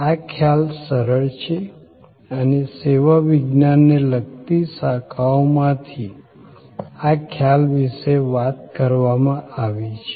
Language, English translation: Gujarati, This concept is simple and this concept has been talked about from the disciplines related to service science